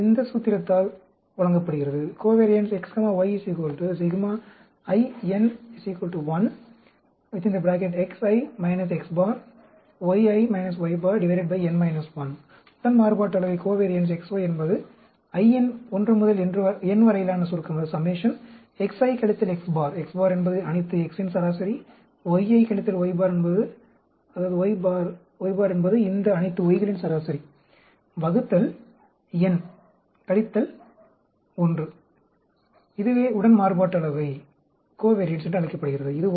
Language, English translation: Tamil, It is given by this formula, covariance x y, summation of, i is varying from 1 to n, x i minus x bar, x bar is the average of all the x s, y i minus y bar, y bar is average of all these y s divided by n minus 1, is called the covariance